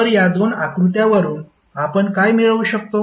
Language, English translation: Marathi, So, what we can get from these two figures